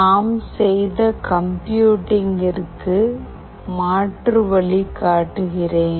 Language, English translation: Tamil, Let me show that the alternate way of computing that we have used